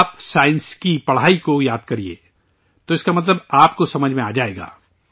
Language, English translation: Urdu, If you remember the study of science, you will understand its meaning